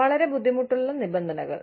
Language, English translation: Malayalam, Very difficult terms